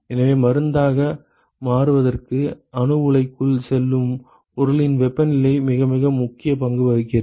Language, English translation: Tamil, So, the temperature of the material, which is going into the reactor to get converted into the drug plays a very very significant role